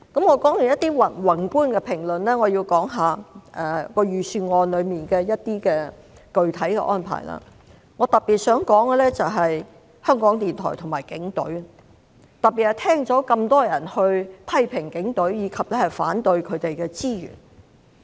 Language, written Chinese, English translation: Cantonese, 我說完一些宏觀的評論，現在想說說預算案中一些具體的安排，我特別想說的是香港電台和警隊，尤其是聽到那麼多人批評警隊及反對撥款予警隊。, After making some macro comments I want to talk about some specific arrangements in the Budget now . In particular I would like to talk about Radio Television Hong Kong RTHK and the Police especially after I have heard so many people criticizing the Police and opposing the allocation of funding to the Police